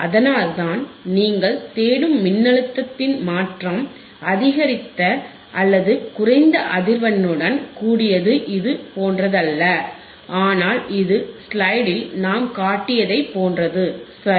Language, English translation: Tamil, And that is why, the change in the voltage that you seek, or with increase or decrease in the frequency is not exactly like this, but it is similar to what we have shown in the in the slide all right